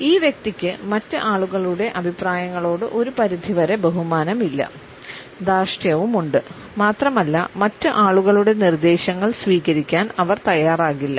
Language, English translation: Malayalam, This person has a certain lack of respect for the opinions of other people, also has certain stubbornness and would not be open to the suggestions of other people